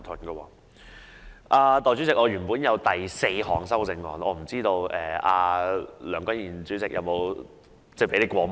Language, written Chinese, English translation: Cantonese, 代理主席，我原本提出了第四項修訂議案，但我不知道梁君彥主席有否讓你過目。, Deputy President I originally proposed the fourth amending motion but I do not know whether President Andrew LEUNG has given it to you for your information